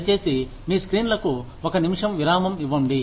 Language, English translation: Telugu, Please, pause your screens for a minute